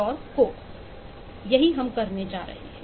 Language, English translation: Hindi, so we has tried to